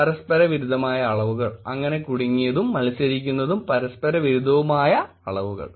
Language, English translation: Malayalam, Contradictory dimensions, so entangled and competing and contradictory dimensions